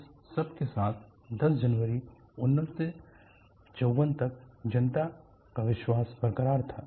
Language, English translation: Hindi, With all thus, the public confidence was intact until 10th January 1954